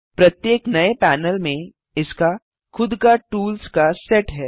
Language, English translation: Hindi, Each new panel has its own set of tools